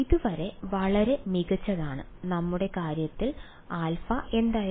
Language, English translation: Malayalam, So far so good and in our case turned out alpha was what